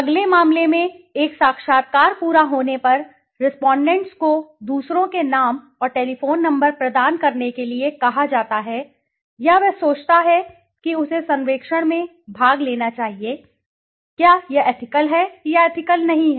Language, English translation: Hindi, Next case, upon completion of an interview the respondent is asked to provide the names and telephone numbers of others he or she thinks should take part in the survey, is this ethical or not ethical